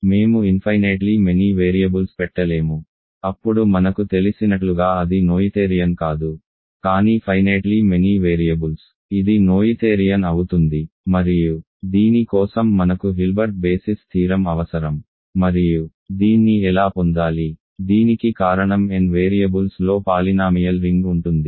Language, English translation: Telugu, We cannot put infinitely many variables of course, then it will not be noetherian as we know, but finitely many variables it is noetherian and for this we need Hilbert basis theorem and how do we get this, this is simply because polynomial ring in n variables is simply a polynomial ring in one variable over the polynomial ring in n minus 1 variables